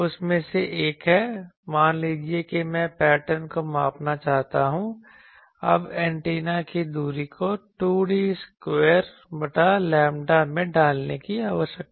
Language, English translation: Hindi, One of that is suppose I want to measure the pattern, now the distance of the antenna needs to be put at 2 D square by lambda